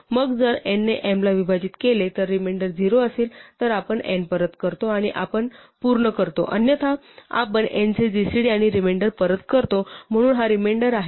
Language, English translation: Marathi, Then if n divides m if the remainder of m divided by n is 0 we return n and we are done, otherwise we return the gcd of n and the remainder, so this is the remainder